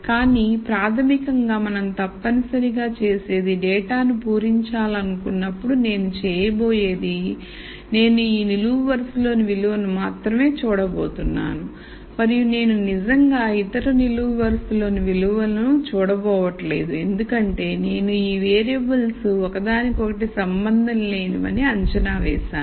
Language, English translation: Telugu, But basically what we are a essentially saying is when I want to fill this data all I am going to do is I am going to look at the values only in this column and I am not really going to look at values in the other columns because I have assumed that these variables are not related to each other